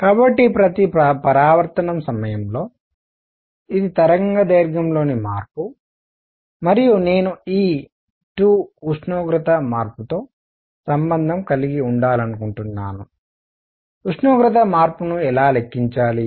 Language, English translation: Telugu, So, during each reflection this is the change in the wavelength and I want to relate this 2 the temperature change; how do we calculate the temperature change